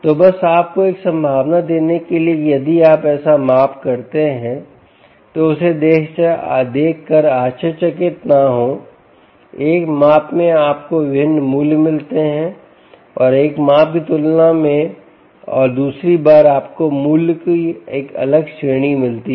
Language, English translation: Hindi, so, just to give you ah a possibility that if you make such a measurement, dont be surprised to see that in one measurement you get a different values and um compared to one measurement, and and another time you get a different range of values